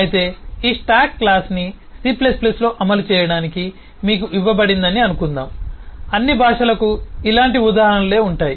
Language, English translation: Telugu, But then suppose you are given to implement this stack class in, say, c plus plus